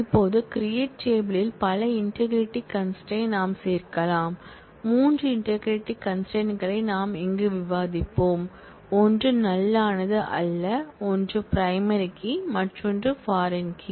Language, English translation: Tamil, Now, we can add a number of integrity constraints to the create table, 3 integrity constraints we will discuss here, one is not null, one is primary key and other third is foreign key